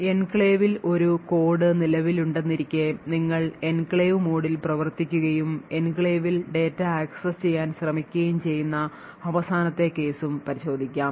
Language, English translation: Malayalam, Will also look at the final case where we have a code present in the enclave that is you are running in the enclave mode and you are trying to access data which is also in the enclave